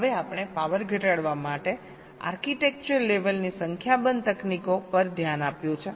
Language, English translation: Gujarati, now, ah, we have looked a at a number of architecture level techniques for reducing power